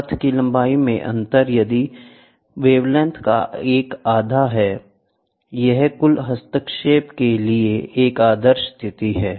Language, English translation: Hindi, The difference in path length is one half of the wavelength; a perfect condition for total interference